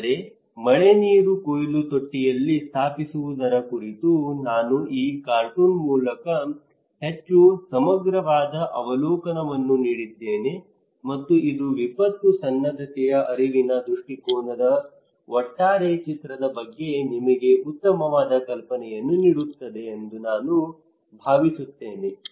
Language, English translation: Kannada, But I hope I gave a more comprehensive overview through this cartoon on installing rainwater harvesting tank and that gives you much better idea about the overall picture of cognitive perspective of disaster preparedness